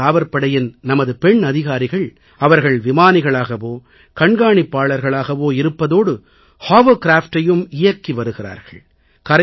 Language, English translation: Tamil, Our Coast Guard women officers are pilots, work as Observers, and not just that, they command Hovercrafts as well